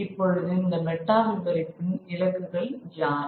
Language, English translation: Tamil, Now, who were the targets of this metanarrative